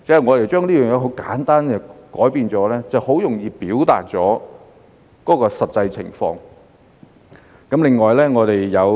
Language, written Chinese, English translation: Cantonese, 我們簡單作出改變，便很容易表達出實際情況。, We made simple changes so that the actual situation could be illustrated more easily